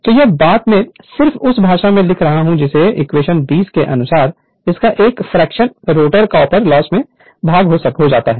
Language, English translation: Hindi, So, that that thing I am just writing in language right of that of while as per equation 20 a fraction of S of it is dissipated in the rotor copper loss right